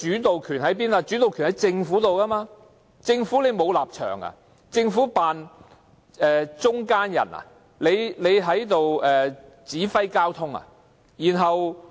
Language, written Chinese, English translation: Cantonese, 但這是諮詢，政府才掌握主導權，政府難道沒有立場，只當中間人，指揮交通嗎？, This is however only a consultative process while the initiative rests with the Government . Does the Government not have any stand on matters merely playing the role of an intermediary and controller of traffic?